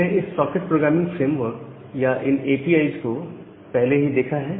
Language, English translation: Hindi, We have already looked this socket programming framework or the APIs